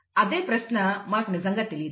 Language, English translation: Telugu, That is the question, you do not really know